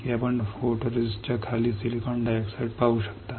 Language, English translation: Marathi, That you can see silicon dioxide below the photoresist